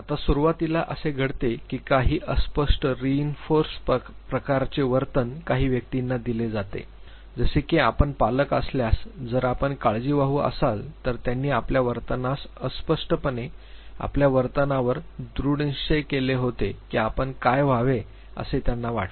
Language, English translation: Marathi, Now initially what happens that there are certain vaguely reinforced type of behavior which is given to some persons, say for instance if you are parents, if you are care givers they where vaguely reinforcing your behavior according to what they thought you should be